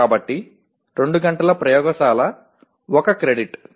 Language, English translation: Telugu, So 2 hours of laboratory constitutes 1 credit